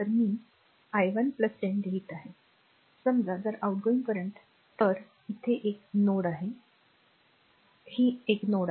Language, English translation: Marathi, I am writing i 1 plus 10, suppose if outgoing current will that that is from this is a node, this is a node, right